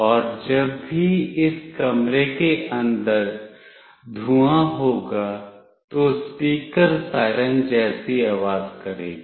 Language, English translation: Hindi, And whenever there is a smoke inside this room, the speaker will make a siren kind of sound